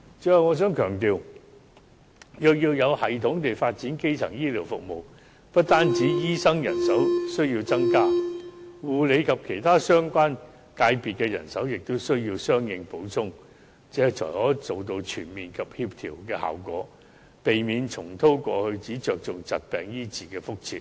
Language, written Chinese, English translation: Cantonese, 最後，我想強調，如要有系統地發展基層醫療服務，不單醫生人手需要增加，護理及其他相關界別的人手也需要相應補充，這才可以達到全面及協調效果，避免重蹈過去只着重疾病醫治的覆轍。, Finally I wish to stress that in order to develop primary health care services systematically doctors manpower should be increased; and not only this the manpower of the carer sector and also other related sectors should also be supplemented . This is rather the way to achieve comprehensive results and coordination and avoid the past mistake of focusing solely on disease treatment